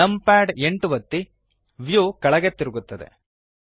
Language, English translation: Kannada, Press numpad 8 the view rotates downwards